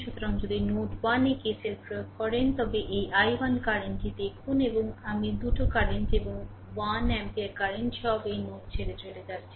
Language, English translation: Bengali, So, if you apply KCL at node 1, look this i o[ne] this ah i 1 current and i 2 current and one ampere current all are leaving this node